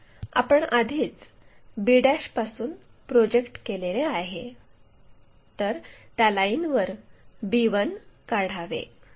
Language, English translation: Marathi, So, already we have projected from b 1, on that we use that length to identify b 1 similarly a 1